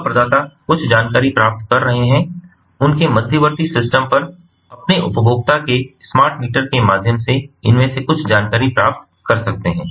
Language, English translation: Hindi, service provider can be receiving some information, their intermediate systems can be receiving some of these information ah ah, through a from the consumer, through their smart meters and so on